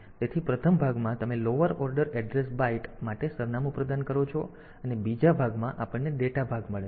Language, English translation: Gujarati, So, in the first part you provide the address for the lower order address byte and in the second part, we get the data part